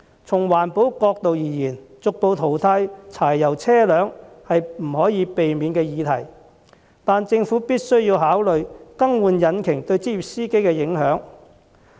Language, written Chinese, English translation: Cantonese, 從環保角度而言，逐步淘汰柴油車輛不可避免，但政府必須考慮更換引擎對職業司機的影響。, While the phase - out of diesel vehicle is inevitable due to environmental consideration the Government must carefully consider the ramifications of engine changes for professional drivers